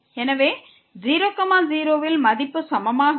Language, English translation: Tamil, So, the value was not equal at 0 0